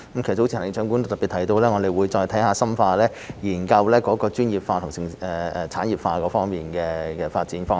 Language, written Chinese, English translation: Cantonese, 早前行政長官都特別提到，我們會再深化研究專業化、產業化方面的發展方向。, The Chief Executive highlighted that we will examine in detail the directions of development on promoting the professionalization of sports and the development of the sports industry